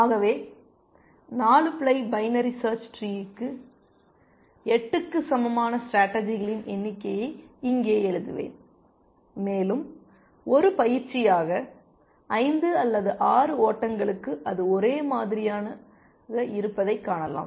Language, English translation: Tamil, So, I will just write it here number of strategies equal to 8 for a 4 ply binary search tree, and as an exercise you can see that for 5 or 6 ply it is the same it is